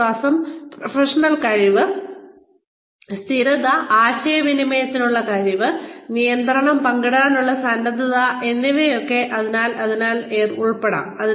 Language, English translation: Malayalam, So, which could include, trust, professional competence, consistency, and the ability to communicate, and readiness to share control